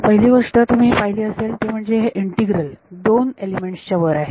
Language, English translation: Marathi, The first thing you can notice is that this integral is over 2 elements